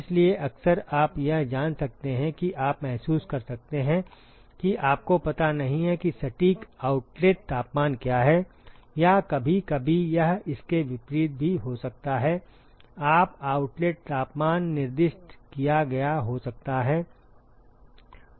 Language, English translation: Hindi, Therefore, it is often you may know you may realize that you may not know what is the exact outlet temperature or sometimes it could be vice versa